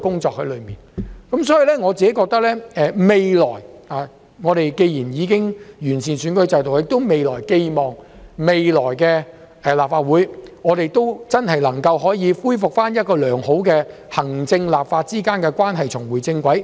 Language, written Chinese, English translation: Cantonese, 在此順帶一提，既然本港已完善選舉制度，我寄望將來的立法會能真正回復良好狀態，令行政立法關係重回正軌。, By the way now that Hong Kongs electoral system has been improved I do hope that the future Legislative Council will truly make a comeback so that the relationship between the executive authorities and the legislature can get back on track